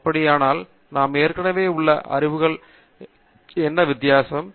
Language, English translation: Tamil, And then, what is the difference that we are making to the existing knowledge